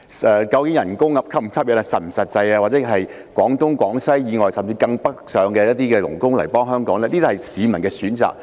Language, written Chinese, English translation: Cantonese, 薪金是否實際，以至聘用廣東、廣西甚至更北面的傭工來港工作，是市民的選擇。, Whether the salary is realistic and the hiring of helpers from Guangdong Guangxi or even places further north are decisions of the members of the public